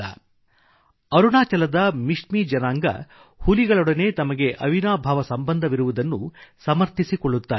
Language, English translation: Kannada, Mishmi tribes of Arunachal Pradesh claim their relationship with tigers